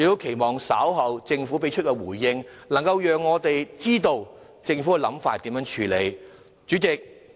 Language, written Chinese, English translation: Cantonese, 希望政府能在稍後的回應中，讓我們知道政府有何處理方法。, I hope the Government would tell us in its reply to be given later what it is planning to do to address these public aspirations